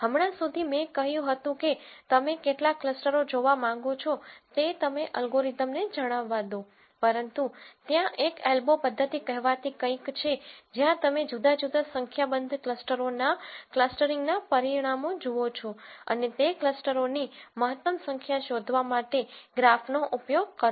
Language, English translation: Gujarati, Till now I said you let the algorithm know how many clusters you want to look for, but there is something called an elbow method where you look at the results of the clustering for different number of clusters and use a graph to find out what is an optimum number of clusters